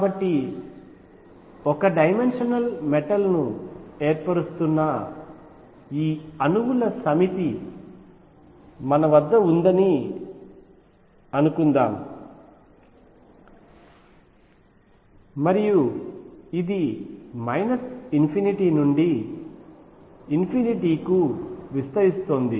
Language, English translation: Telugu, So, suppose we have this set of atoms which are forming a one dimensional metal and this is extending from minus infinity to infinity